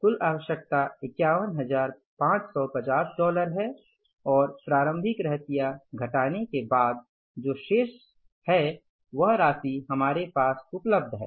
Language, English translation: Hindi, Total requirement is $51,550 and less the opening inventory which is already available with us